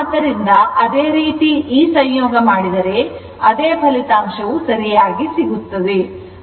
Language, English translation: Kannada, So, similarly if you do this conjugate same same result you will get right